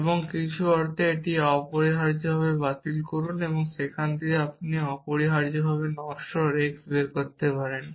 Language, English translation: Bengali, And in some sense cancel it out essentially and from there you can derive mortal x essentially